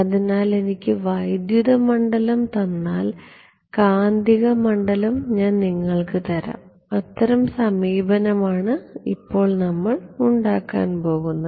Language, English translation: Malayalam, So, give me the electric field and I can give you the magnetic field that is going to be the approach ok